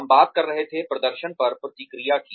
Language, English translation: Hindi, We were talking about, the feedback on performance